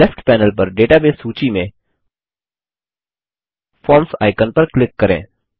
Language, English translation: Hindi, Let us click on the Forms icon in the Database list on the left panel